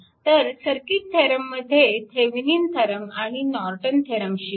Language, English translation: Marathi, So, here circuit theorem will learn Thevenin’s theorem and Norton’s theorem